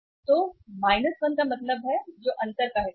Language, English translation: Hindi, So minus 1 means which is the difference part